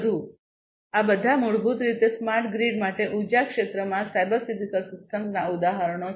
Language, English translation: Gujarati, So, all of these are basically examples of cyber physical systems in the energy sector for smart grid